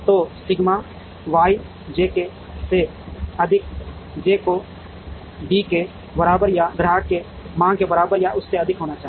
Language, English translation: Hindi, So, sigma Y j k summed over j should be greater than or equal to D k should be greater than or equal to the demand of the customer